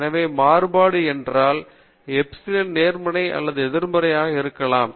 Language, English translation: Tamil, Thus, epsilon i may be either positive or negative